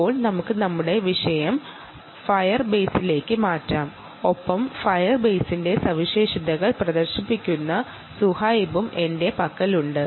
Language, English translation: Malayalam, now let us shift our topic to the fire base, and i have with me um zuhaib ah, who will demonstrate the features of fire base